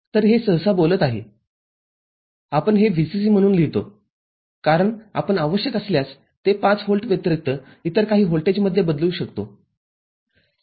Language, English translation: Marathi, So, this is generally speaking we write it as VCC because we can change it to some other voltage other than 5 volt, if so required